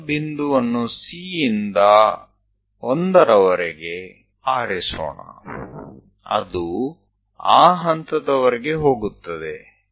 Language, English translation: Kannada, Let us pick first point C to 1; it goes all the way up to that point